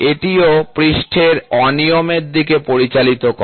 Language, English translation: Bengali, So, this also leads to surface irregularities